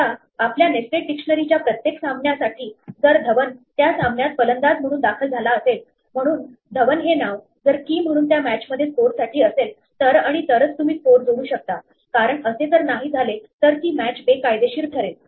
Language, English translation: Marathi, Now for each match in our nested dictionary, if Dhawan is entered as a batsman in that match, so if a name Dhawan appears as the key in score for that match then and only then you add a score, because if it does not appear it is illegal to access that match